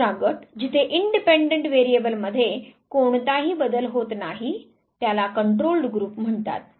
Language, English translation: Marathi, The other group where the independent variable does not undergo any change is called the control group